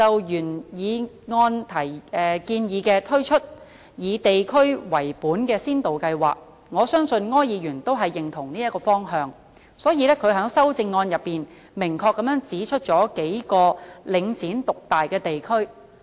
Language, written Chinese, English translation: Cantonese, 原議案建議推出以地區為本的先導計劃，我相信柯議員都認同這個方向，所以他在修正案中明確指出了數個領展獨大的地區。, My original motion proposes the introduction of district - based pilot schemes . I believe Mr OR approves of such a direction so that in his amendment he pinpoints a few areas where Link REIT has achieved dominance